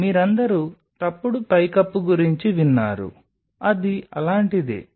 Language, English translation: Telugu, So, you all have heard about a false roof it is something like